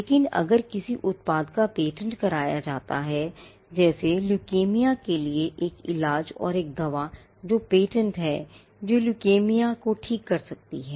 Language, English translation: Hindi, But if a product is patented, say a cure for leukaemia and there is a drug that is patented which can cure leukaemia